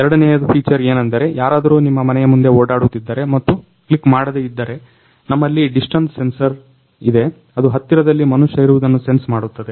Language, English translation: Kannada, The second feature is even though if somebody is roaming around your house and not clicking the bell, we have a distance sensor to sense the presence of a person nearby